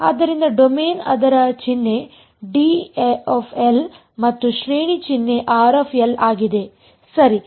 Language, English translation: Kannada, So, the domain the symbol for that is D L and the range symbol is R of L right